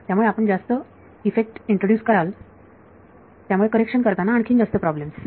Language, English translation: Marathi, So, you will introduce more effect, more problems by trying to correct it